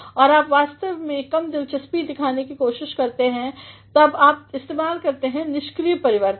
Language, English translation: Hindi, And, when you actually try to show less interest then you make use of passive transformations